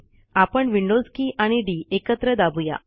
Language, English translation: Marathi, Let us now press Windows key and D